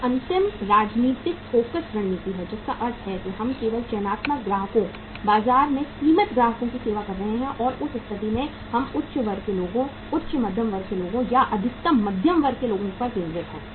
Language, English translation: Hindi, And last strategy is the focus strategy means we are only serving the selective customers, limited customers in the market and in that case we are focused upon high class people, upper middle class people or maximum middle class people